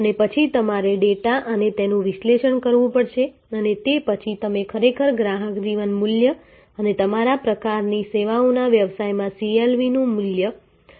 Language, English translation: Gujarati, And then you have to analyze this with data and then that is how you will actually determine the customer life time value and the importance of CLV in your kind of services business